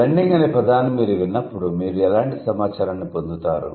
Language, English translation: Telugu, As a hearer, when you hear the word blend, what kind of information do you get